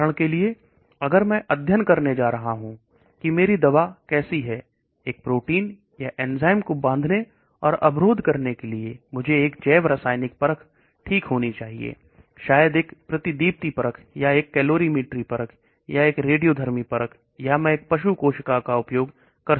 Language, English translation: Hindi, For example if I am going to study how my drug is going to bind to a protein or enzyme and inhibit I should have a biochemical assay okay, maybe a fluorescence assay or a calorimetry assay or a radioactive assay or I may use an animal cell, I may be looking at some metabolites that are produced